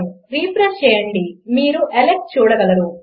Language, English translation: Telugu, Refresh and you can see Alex